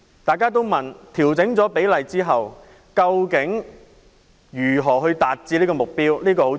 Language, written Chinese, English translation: Cantonese, 大家都問調整比例之後，如何達致目標？, Many people query how the target can be met upon revision of the public - private housing split?